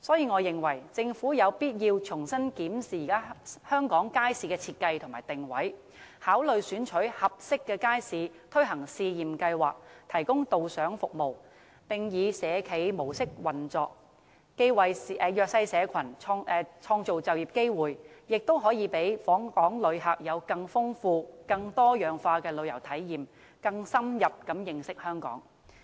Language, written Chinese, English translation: Cantonese, 我認為，政府有必要重新審視街市的設計和定位，考慮選取合適的街市推行試驗計劃，提供導賞服務，並以社企模式運作，既為弱勢社群創造就業機會，亦能讓訪港旅客有更豐富、更多樣化的旅遊體驗，更深入認識香港。, I think the Hong Kong Government has to review the design and positioning of our markets and consider introducing pilot schemes in suitable markets where tour guides will be held and stalls will be operated by social enterprises . This will not only create job opportunities for the disadvantaged but also provide a richer and more diversified experience for visitors and enhance their understanding of Hong Kong